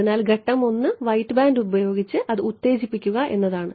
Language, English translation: Malayalam, So, the step 1 is excite it with the white band ok